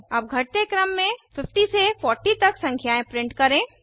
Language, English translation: Hindi, Now Let us print numbers from 50 to 40 in decreasing order